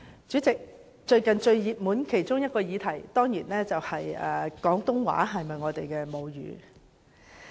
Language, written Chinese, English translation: Cantonese, 主席，最近有一個熱門議題，當然是廣東話是否大家的母語。, Chairman the latest hot topic is certainly whether Cantonese is our mother tongue